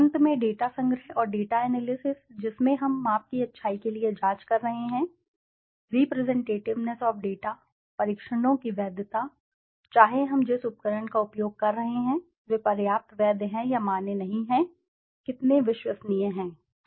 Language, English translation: Hindi, Finally, the data collection and the data analysis in which we are checking for the goodness of measure, the representativeness of the data, the validity of the tests, whether the instrument that we are using are they valid enough or not valid, how reliable are they